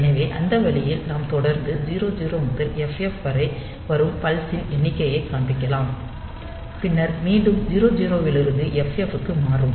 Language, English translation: Tamil, So, that way we can continually go on displaying the number of pulses coming from 00 to FF, and then again 00 to FF